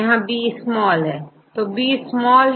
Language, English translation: Hindi, So, B is small